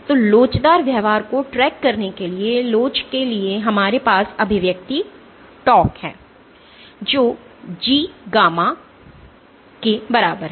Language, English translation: Hindi, So, for elasticity for tracking elastic behaviour we have the expression tau is equal to G gamma